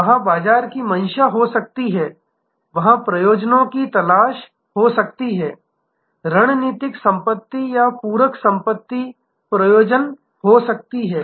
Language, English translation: Hindi, There can be market seeking motives, there can be resource seeking motives, there can be strategic asset or complementary asset seeking motives